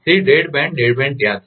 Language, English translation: Gujarati, So, the dead band dead band is there